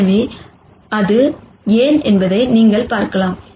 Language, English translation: Tamil, So, you can see why that is